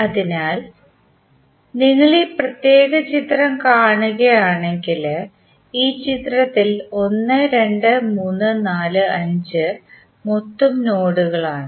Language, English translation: Malayalam, So, if you see this particular figure, in this figure you will see 1, 2, 3, 4, 5 are the total nodes